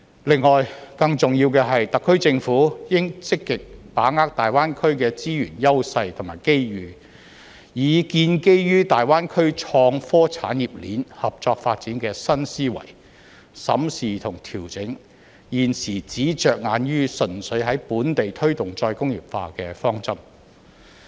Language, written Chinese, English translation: Cantonese, 另外，更重要的是，特區政府應積極把握大灣區的資源優勢和機遇，以建基於大灣區創科產業鏈合作發展的新思維，審視和調整現時只着眼於純粹在本地推動再工業化的方針。, Besides more importantly the SAR Government should actively capitalize on the resource advantages and opportunities in the Greater Bay Area and review and adjust the current approach which only focuses on promoting re - industrialization locally with a new mindset based on the collaborative development of the innovation and technology industry chain in the Greater Bay Area